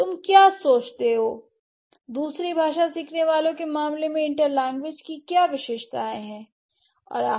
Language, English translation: Hindi, So, what do you think, what are the characteristics of inter languages in case of the second language learners